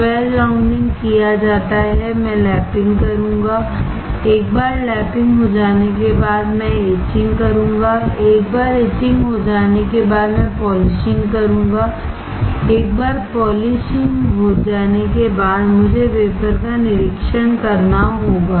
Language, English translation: Hindi, Once, the edge rounding is done, I will perform the lapping, once the lapping is done I will perform the etching, once the etching is done I will perform the polishing, once the polishing is done I have to inspect the wafer